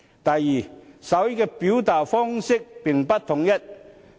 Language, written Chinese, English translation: Cantonese, 第二，手語的表達方式並不統一。, Second there is a lack of a common form of sign language